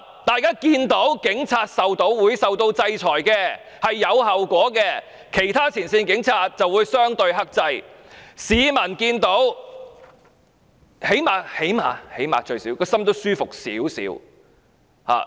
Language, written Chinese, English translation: Cantonese, 大家看到警員受到制裁，是有後果的，其他前線警員就會相對克制，市民最低限度內心也會舒服一點。, When people see those police officers are sanctioned and that they have to bear the consequences other frontline police officers will restrain themselves relatively and members of the public will at least feel a bit more comfortable in their hearts